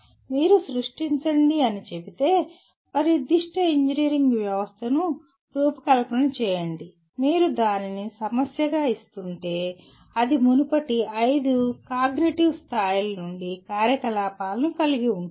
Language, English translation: Telugu, But if you say create, design a particular engineering system if you are giving it as a problem it is likely to involve activities from all the previous five cognitive levels